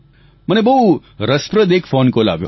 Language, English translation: Gujarati, I have received a very interesting phone call